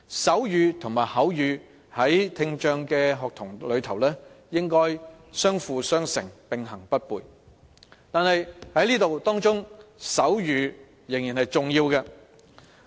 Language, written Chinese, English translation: Cantonese, 手語和口語，在聽障學童中應相輔相成、並行不悖，而手語仍是重要的。, Sign language and spoken language may complement one another . They are not mutually exclusive . And sign language is still very important